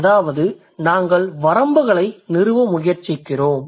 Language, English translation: Tamil, The idea here is that we are trying to establish the limits